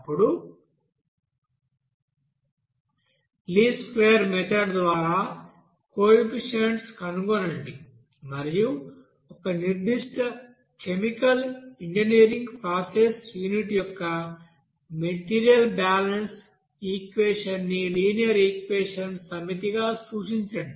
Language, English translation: Telugu, And then finding out the coefficient by least square method and also how to represent the, you know material balance equation for a particular chemical engineering process unit as a set of you know linear equation